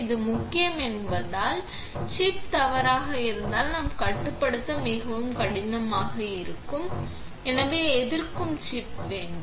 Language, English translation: Tamil, This is important because if the chip is misaligned, then we will have a resist so chip which is very hard to control